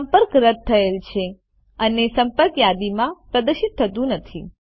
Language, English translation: Gujarati, The contact is deleted and is no longer displayed on the contact list